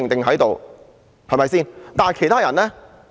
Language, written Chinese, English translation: Cantonese, 可是，其他人呢？, What about the others?